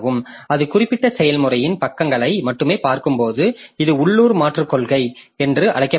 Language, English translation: Tamil, So, when it is looking into the pages of the particular process only, so this is called local replacement policy